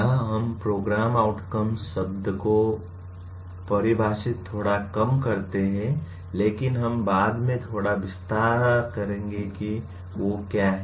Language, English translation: Hindi, We will, here we define the, use the word program outcomes a little loosely but we will elaborate a little later what they are